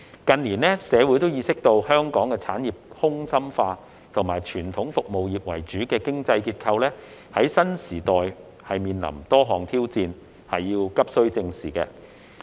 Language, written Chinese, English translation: Cantonese, 近年，社會意識到香港的產業空心化，以及傳統服務業為主的經濟結構在新時代面臨多項挑戰，急需正視。, In recent years the community is aware of the hollowing out of Hong Kongs industries and the challenges facing the traditional service - oriented economic structure in the new era which need to be addressed